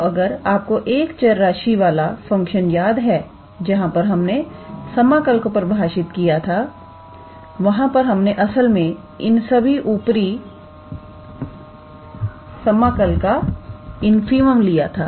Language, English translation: Hindi, Now, if you remember the function of one variable where we defined the integral we actually took the infimum of all these upper integral sum